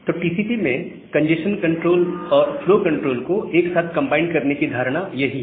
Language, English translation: Hindi, So, this is the notion of combining congestion control and flow control together in TCP